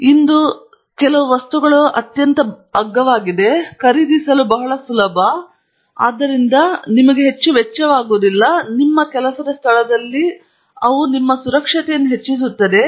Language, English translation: Kannada, And most of the things that I am going to show you today are things that are very cheap, very easy to buy, and therefore, they donÕt cost you much, but they greatly enhance the safety for you in your work place